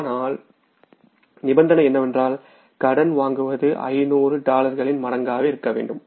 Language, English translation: Tamil, But condition is the borrowing has to be in the multiple of $500